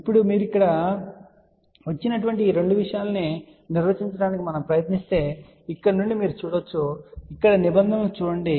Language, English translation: Telugu, Now, from here you can also see if we try to define these things you come over here and look at the terms here